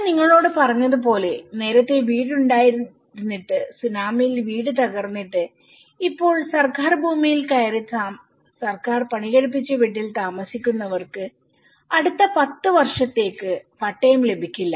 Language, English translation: Malayalam, As I said to you that the people who had a house, earlier and which was damaged during tsunami and now, these people which who got in the government land and built by the government for the next ten years they donÃt get any Patta